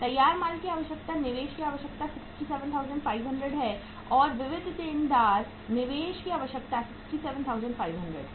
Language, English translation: Hindi, Finished goods requirement, investment requirement is 67,500 and sundry debtors investment requirement is 67,500